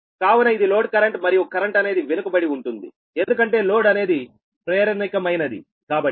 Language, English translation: Telugu, so this is the load current, and current is lagging because load is inductive, right